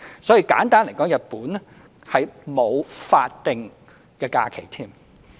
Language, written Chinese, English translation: Cantonese, 所以，簡單而言，日本是沒有法定假日。, Simply put there is no statutory holidays in Japan